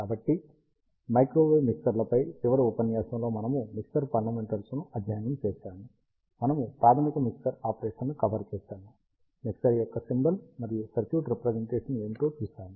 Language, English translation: Telugu, So, in the last lecture on microwave mixers, we studied mixer fundamentals, we covered the basic mixer operation, we saw what is the symbol and circuit representation of a mixer